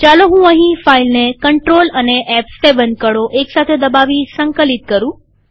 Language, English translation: Gujarati, Let me compile this file by pressing control and f7 keys simultaneously